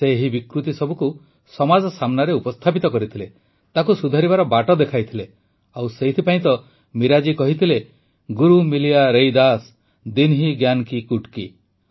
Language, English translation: Odia, He laid bare social evils in front of society, showed the path of redemption; and that's why Meera ji had said, 'GURU MILIYA RAIDAS, DEENHI GYAAN KI GUTKI' |